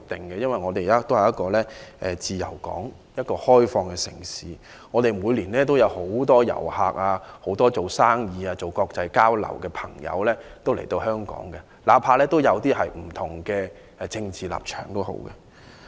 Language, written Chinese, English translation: Cantonese, 香港是一個自由港、一個開放的城市，每年有很多遊客、商人和參與國際交流的人來，哪怕有些人持有不同的政治立場。, Being a free port and an open city Hong Kong attracts a lot of tourists and businessmen each year . Many people come to Hong Kong for international exchanges disregarding of their divergent political positions